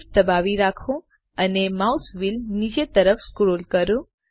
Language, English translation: Gujarati, Hold SHIFT and scroll the mouse wheel downwards